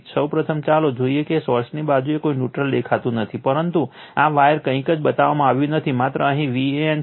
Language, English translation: Gujarati, First let us see the source side no neutral nothing is shown, but that this wire nothing is shown only V a n is here